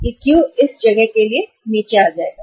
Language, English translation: Hindi, This Q will come down to this place